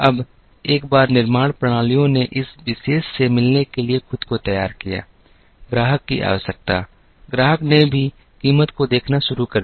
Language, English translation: Hindi, Now, once the manufacturing systems geared themselves to meet this particular requirement of the customer, the customer also started looking at price